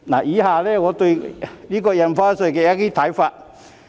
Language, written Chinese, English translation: Cantonese, 以下是我對印花稅的一些看法。, Here are some of my views on Stamp Duty